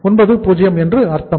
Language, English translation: Tamil, So it means it is 90%